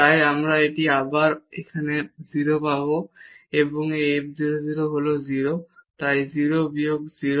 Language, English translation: Bengali, So, we will get this again here 0 and this f 0 0 is 0 so, 0 minus 0